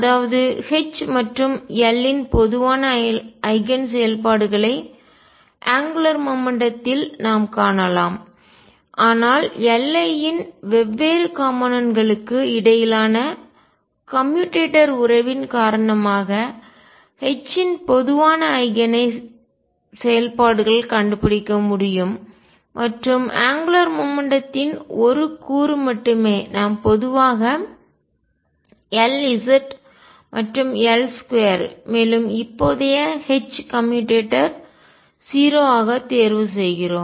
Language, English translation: Tamil, That means, I can find common eigen functions of H and L at the angular momentum, but because of the commutation relation between different components of L i will be able to find common eigen functions of H and only one component of angular momentum which we usually choose to be L z and L square current H commutator is also 0